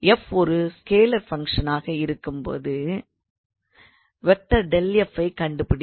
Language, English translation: Tamil, So, find the gradient of f where f is obviously a scalar function